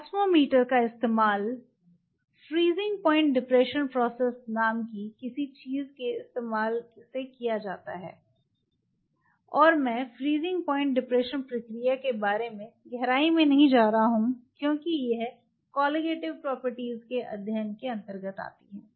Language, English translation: Hindi, Osmometer is being used using something called freezing point depression process, and I am not going to get into the freezing point depression process because it falls under the studying the Colligative property